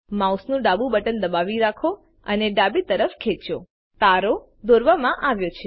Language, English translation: Gujarati, Hold the left button of the mouse and drag to the left You have drawn a star